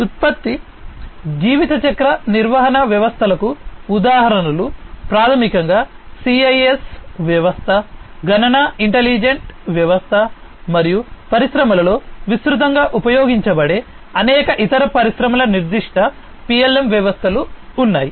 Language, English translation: Telugu, Examples of product lifecycle management systems are basically, the CIS system, computational intelligent system, and there are many different other industry specific PLM systems that are widely used in the industries